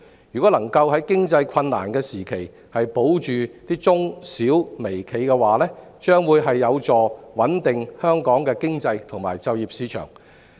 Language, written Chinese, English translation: Cantonese, 如果能夠在經濟困難時期保住中小微企，將有助穩定香港的經濟及就業市場。, At a time of economic hardship the safeguarding of micro small and medium enterprises can help stabilize the economy and employment market of Hong Kong